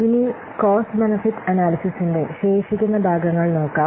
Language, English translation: Malayalam, So, now let's see the remaining parts of cost benefit analysis